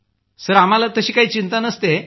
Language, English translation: Marathi, Sir, that doesn't bother us